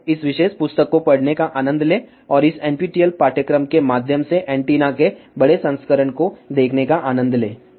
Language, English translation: Hindi, So, enjoy reading this particular E book and enjoy watching the larger version of the antennas through this NPTEL course